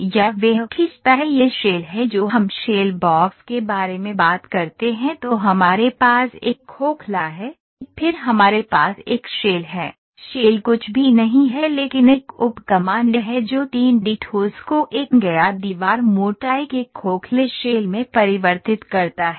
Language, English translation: Hindi, Or he draws this is the shell whatever we talk about shell box then we have a hollow then we have a shell, shell is nothing but a sub command that converts a 3 D solid into a hollow shell with a wall thickness of a known wall thickness